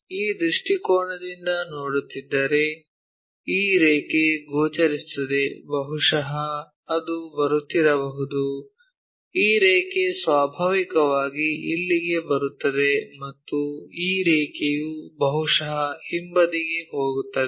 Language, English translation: Kannada, If, we are looking from this view, this line will be visible perhaps it might be coming that, this line naturally comes here and this line perhaps going a back side